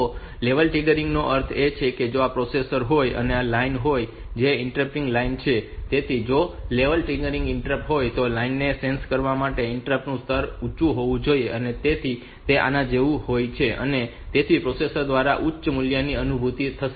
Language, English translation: Gujarati, processor and this is the line the interrupting line that is there, so if it is a level triggered interrupt then for the line to be sensed the level of the interrupt should be high, so it is like this so the high value will be sensed by the processor